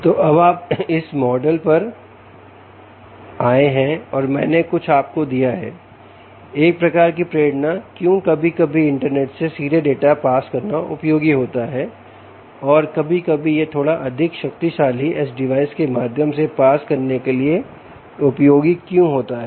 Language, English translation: Hindi, so now you have come to this model and i have sort of given you a sort of a motivation why sometimes it's useful to pass data directly to the internet and why sometimes it useful to pass through a little more powerful edge device